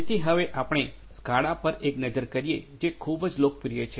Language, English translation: Gujarati, So, we will now have a look at the SCADA which is very popular